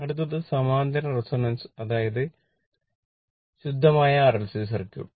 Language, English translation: Malayalam, So, now parallel next is the parallel resonance that is pure RLC circuit